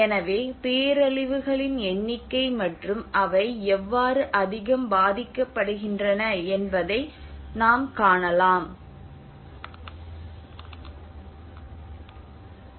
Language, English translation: Tamil, So you can see that these are the number of disasters and how they are very much prone